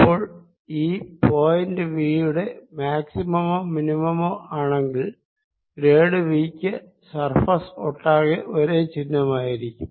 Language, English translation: Malayalam, so if the point is a maximum or minimum of v, then grad v has the same sign over the surface and this implies integration